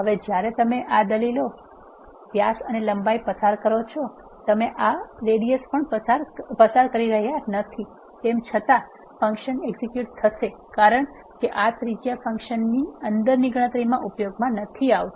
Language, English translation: Gujarati, Now, when you pass this arguments dia and length even though you are not passing this radius the function will still execute because this radius is not used in the calculations inside the function